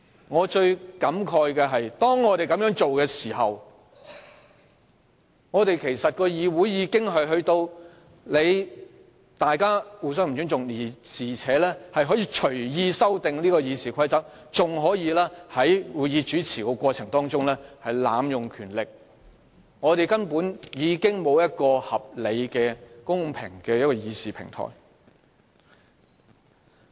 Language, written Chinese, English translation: Cantonese, 我最感慨的是，在這情況下，主席其實造成議員之間互不尊重，而且讓相關議員隨意修訂《議事規則》，更在主持會議的過程中濫用權力，剝奪我們一個公平合理的議事平台。, What I lament most is that under such circumstances the President has actually sown disrespect among Members allowed the relevant Members to arbitrarily amend RoP and even abused his powers in the course of chairing meetings thereby depriving us of a fair and reasonable platform of deliberation